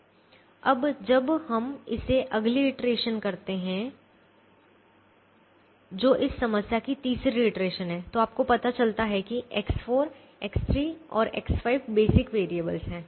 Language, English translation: Hindi, now when we do this, the next iteration, which is the third iteration of this problem, you realize that x four, x three and x six are the basic variables